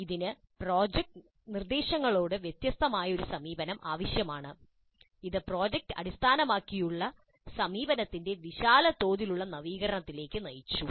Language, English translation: Malayalam, These need a different approach to instruction and that has led to the innovation of project based approach on a wide scale